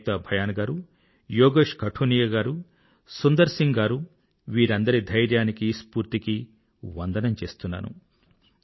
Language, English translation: Telugu, I salute Ekta Bhyanji, Yogesh Qathuniaji and Sundar Singh Ji, all of you for your fortitude and passion, and congratulate you